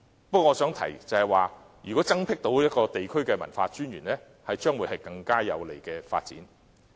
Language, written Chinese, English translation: Cantonese, 不過，我想提出，如果能增設地區文化專員一職，將會是更有利的發展。, However I wish to point out that establishing the position of commissioner for culture will be even more conducive to development